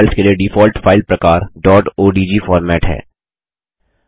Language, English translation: Hindi, The default file type for Draw files is the dot odg format (.odg)